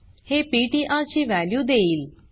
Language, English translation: Marathi, This is will give the value of ptr